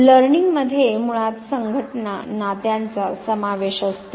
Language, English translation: Marathi, Now learning basically involves associations, relationships